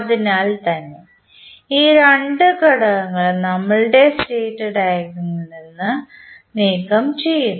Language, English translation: Malayalam, So, that is why we remove these two components from our state diagram